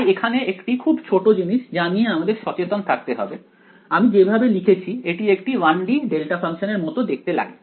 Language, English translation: Bengali, So, here there is one small thing that you have to be careful of, if you the way I have written this looks like a 1 D delta function right